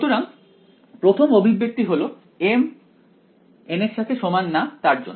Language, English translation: Bengali, So, the first expression is for m not equal to n